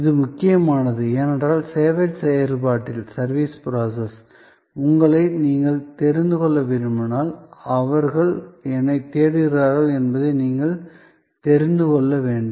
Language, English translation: Tamil, This is important because, if you want to know people in the service process, then we have to know, what they are looking for